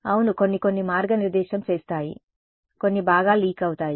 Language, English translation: Telugu, Yeah some will be some will guide it some will get will leak out ok